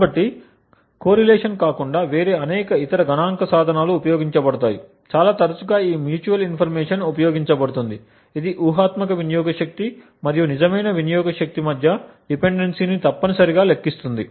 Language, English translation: Telugu, So, there are various other statistical tools that can be used other than a correlation, quite often this mutual information is used which essentially quantifies the dependence between the hypothetical power and the real power consumption